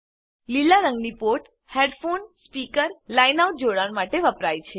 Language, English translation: Gujarati, The port in green is for connecting headphone/speaker or line out